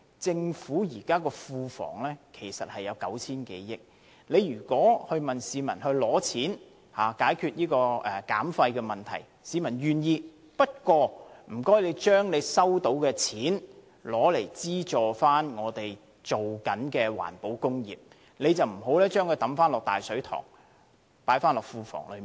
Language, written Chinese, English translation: Cantonese, 政府庫房現時有 9,000 多億元盈餘，如果向市民徵費以解決減廢問題，市民願意付款，不過請政府將收到的錢用作資助正在推行的環保工業，而不要把這些錢放回"大水塘"，即庫房內。, At present there is a surplus of 900 - odd billion in the Government coffers . If the Government levies charges to reduce waste the public are willing to pay but the Government should use the money collected to subsidize environmental industries and not deposit the money into the big reservoir ie . the coffers